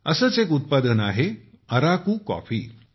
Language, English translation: Marathi, One such product is Araku coffee